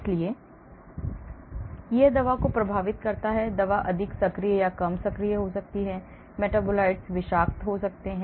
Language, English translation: Hindi, so it affects the drug, drug may become more active or less active, the metabolites could be toxic